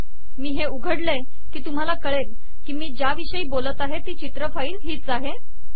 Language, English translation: Marathi, When I open it you can see that this is the image file that I am talkin about